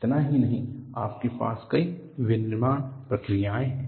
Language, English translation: Hindi, Not only this, you have several manufacturing processes